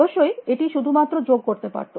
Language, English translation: Bengali, Of course, it could only do addition